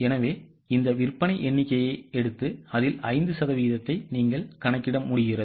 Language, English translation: Tamil, So, take this sales figure and take 5% of that